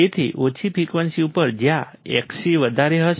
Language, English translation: Gujarati, So, at low frequency is where Xc would be high